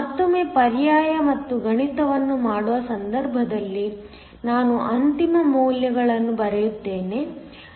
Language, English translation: Kannada, Again, in case of doing the substitution and the math, So, I will just write down the final values